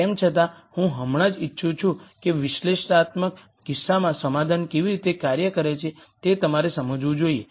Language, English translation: Gujarati, Nonetheless I just want you to understand how the solution works out in an analytical case